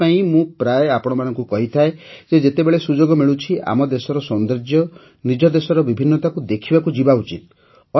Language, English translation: Odia, That's why I often urge all of you that whenever we get a chance, we must go to see the beauty and diversity of our country